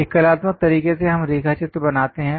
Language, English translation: Hindi, In artistic way, we draw sketches